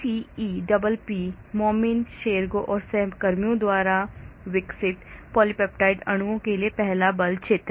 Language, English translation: Hindi, Then ECEPP, first force field for polypeptide molecules developed by Momany, Scheraga and colleagues